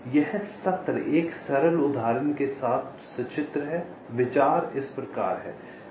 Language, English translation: Hindi, so this session illustrated with a simple example